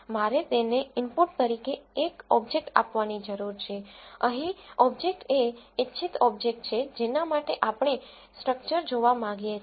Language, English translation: Gujarati, I need to give an object to it as input the object here is the desired object for which we want to look at the structure